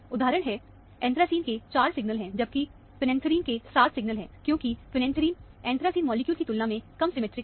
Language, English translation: Hindi, The example is, anthracene has 4 signals, whereas, phenanthrene has 7 signals, because phenanthrene is less symmetric than the anthracene molecule, for example